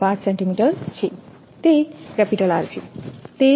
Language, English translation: Gujarati, 5 centimeter, so r is 1